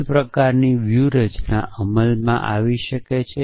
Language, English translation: Gujarati, The same kind of strategy is come into play